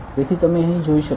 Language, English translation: Gujarati, So, you can see here